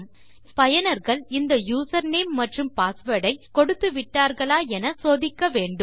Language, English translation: Tamil, We need to check if the users have entered the username and the password